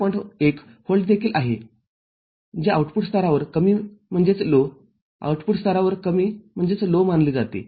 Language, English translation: Marathi, 1 volt also which is considered as low at the output level, low at the output level